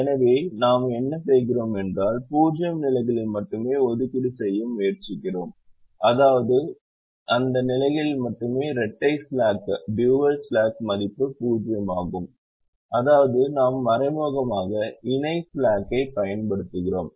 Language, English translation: Tamil, so what we are doing is we are trying to make allocations only in zero positions, which means only in positions where the dual slack is zero, which means we are indirectly applying complimentary slackness